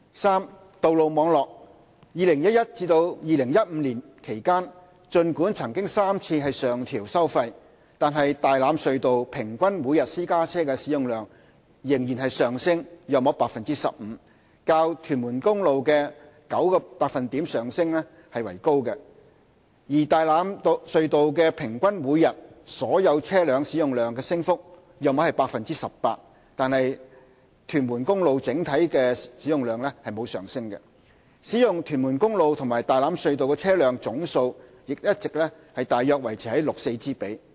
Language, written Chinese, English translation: Cantonese, 三道路網絡2011年至2015年期間，儘管曾3次上調收費，但大欖隧道平均每天私家車使用量仍上升約 15%， 較屯門公路的 9% 升幅為高；而大欖隧道平均每天所有車輛使用量的升幅約為 18%， 但屯門公路的整體使用量則沒有上升，使用屯門公路及大欖隧道的車輛總數亦一直大約維持 6：4 之比。, 3 Road Network From 2011 to 2015 notwithstanding three toll increases the average daily private car flow at Tai Lam Tunnel still increased by about 15 % higher than the 9 % increase at Tuen Mun Road . For overall traffic flow during that period Tai Lam Tunnel saw the average daily flow increased by about 18 % but Tuen Mun Road showed no increase . The total number of vehicles using Tuen Mun Road to that using Tai Lam Tunnel all along remained at a ratio of about 6col4